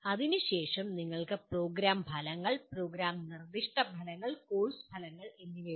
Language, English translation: Malayalam, Then you have Program Outcomes, Program Specific Outcomes and Course Outcomes